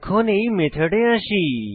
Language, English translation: Bengali, Let us come to this method